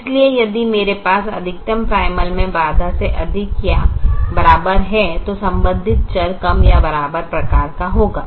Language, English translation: Hindi, so if i have a greater than or equal to constraint in the maximization primal, the corresponding variable will be less than or equal to type